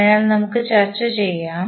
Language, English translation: Malayalam, So, we will discuss